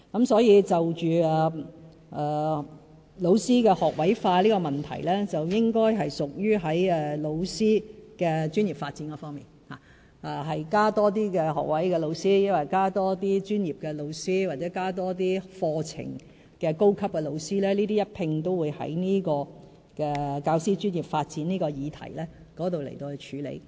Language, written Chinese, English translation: Cantonese, 所以，教師學位化的問題，應該屬於教師的專業發展方面，究竟是增加學位教師、專業教師，還是課程的高級教師，會一併在教師專業發展的議題上處理。, The introduction of an all - graduate teaching force is about the professional development of teachers . As to whether we should create more posts for graduate teachers professional teachers or senior teachers of course programmes we will consider the question under the subject of the professional development of teachers